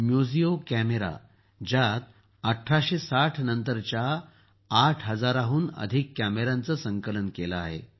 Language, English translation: Marathi, It houses a collection of more than 8 thousand cameras belonging to the era after 1860